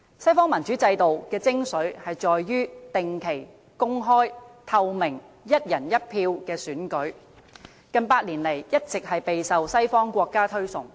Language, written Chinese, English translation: Cantonese, 西方民主制度的精粹，在於定期、公開、透明、"一人一票"的選舉，近百年來一直備受西方國家推崇。, The western democratic system a system revered by western countries in the past 100 years can be epitomized by regular open and transparent elections by one person one vote